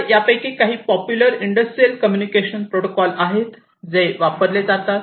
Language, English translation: Marathi, Now, these are some of these popular industrial communication protocols that are used